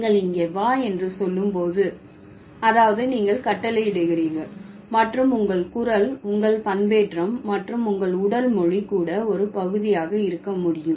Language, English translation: Tamil, So, when you say come here, that means you are commanding and your voice, your modulation and your body language can also be a part of it